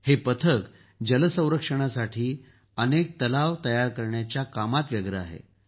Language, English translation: Marathi, This team is also engaged in building many ponds for water conservation